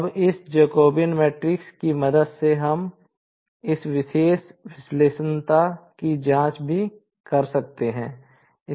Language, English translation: Hindi, Now, with the help of this Jacobian matrix, we can also carry out this particular the singularity checking